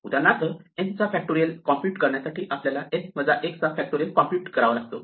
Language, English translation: Marathi, So, for instance, to compute factorial of n, one of the things we need to do is compute factorial of n minus 1